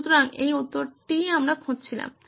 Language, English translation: Bengali, So this is the answer we were looking for